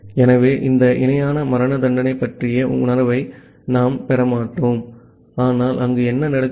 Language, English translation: Tamil, So, we will possibly not get a feel of this parallel execution, but what is happening there